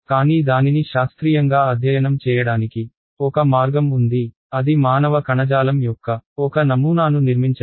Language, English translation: Telugu, But at least one way to scientifically study it, is to build a, let us say, a model of human tissue